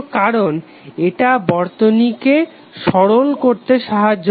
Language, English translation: Bengali, because it helps in simplifying the circuit